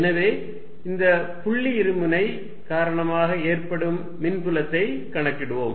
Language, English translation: Tamil, So, let us calculate the field due to this point dipole